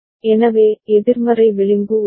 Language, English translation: Tamil, So, there is a negative edge